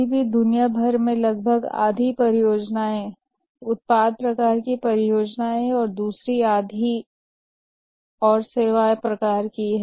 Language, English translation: Hindi, But still worldwide nearly half of the projects are product type of projects and another half is on services